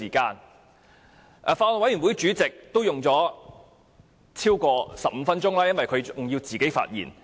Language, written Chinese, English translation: Cantonese, 剛才法案委員會主席發言用了15分鐘以上，因為她還要發表個人意見。, Just now the Chairman of the Bills Committee spent over 15 minutes delivering her speech as she also has to express her personal views